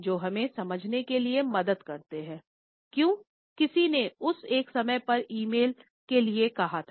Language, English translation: Hindi, They help us to understand, why did someone said that timing of the e mail at that point